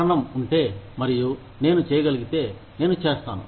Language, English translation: Telugu, If the reason is there, and i can do it, i will do it